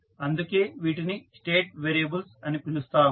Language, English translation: Telugu, Why we call them state variable